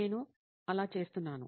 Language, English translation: Telugu, That is how I am doing